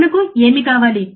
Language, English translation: Telugu, What we need